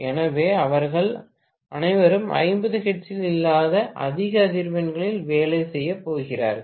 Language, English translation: Tamil, So, all of them are going to work at higher frequencies not at 50 hertz, right